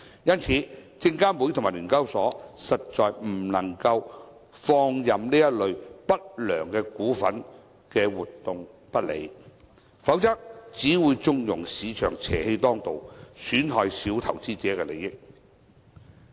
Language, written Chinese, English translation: Cantonese, 因此，證券及期貨事務監察委員會和聯交所實在不能放任這類不良股份和活動不理，否則只會縱容市場邪氣當道，損害小投資者的利益。, Therefore the Securities and Futures Commission SFC and SEHK cannot ignore these ill - natured shares and activities otherwise they will only condone a perverse trend in the market which is detrimental to the interests of minor investors